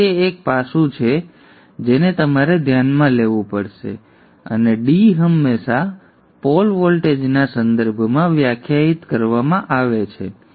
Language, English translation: Gujarati, So that is one aspect which you have to consider and that D is always defined with respect to the pole voltage